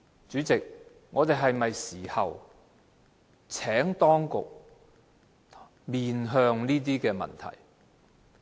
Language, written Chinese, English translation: Cantonese, 主席，在這時候，我們是否要請當局面向問題呢？, President at this time should we ask the authorities to face up to the issue?